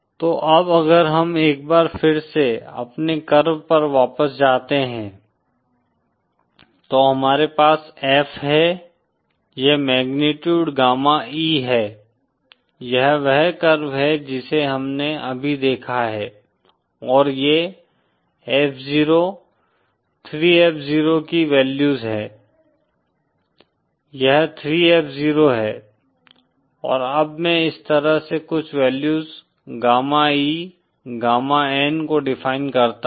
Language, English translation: Hindi, So now if we go back once again to our curve, so we have F this is magnitude gamma E, this is , this is the curve that we just saw and these are the values of F0, 3 F 0, this is 3F0, and then I define certain value gamma E, gamma N like this